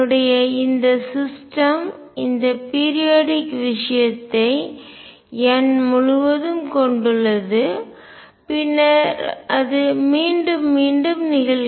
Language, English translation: Tamil, My system consists of this periodic thing over n and then it repeats itself